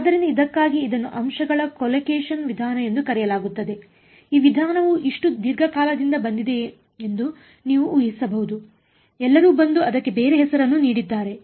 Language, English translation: Kannada, So, another word for this is called point collocation method, you can imagine this method has been around for such a long time everyone has come and given it a different name ok